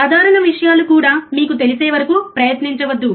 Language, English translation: Telugu, Even simple things, do not try until you know, right